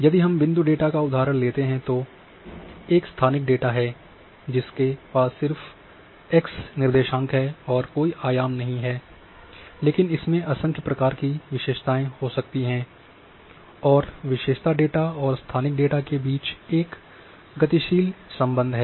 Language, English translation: Hindi, So, if we take the example of say point data point data is a spatial data which is having just x by co ordinates no dimensions, but it can have n number of attributes and this there is a dynamic linkage between attribute data and spatial data